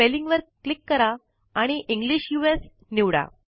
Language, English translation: Marathi, Click Spelling and select English US